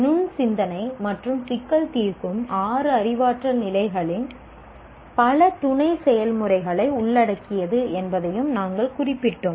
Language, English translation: Tamil, We also noted that critical thinking and problem solving involve combination of several sub processes of the six cognitive levels